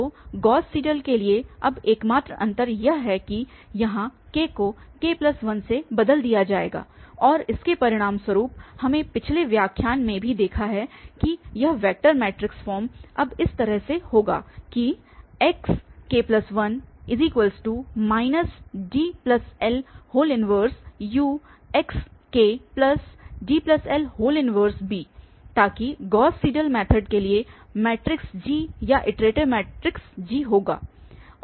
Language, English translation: Hindi, So, the only difference is now for the Gauss Seidel this k will be replaced by k plus 1 and as a result we have also seen in the previous lecture that this vector matrix form will take place now in this following manner that xk plus 1 is equal to minus D plus L inverse multiplied by U, so that will be the matrix G or the iteration matrix G for Gauss Seidel method